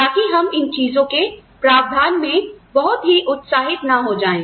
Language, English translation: Hindi, So, that we do not go overboard, with provision of these things